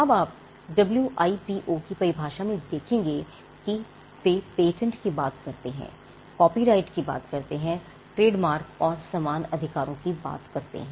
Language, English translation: Hindi, Now you will find in the WIPOs definition that they talk about patents they talk about copyrights they talk about trademarks designs and similar rights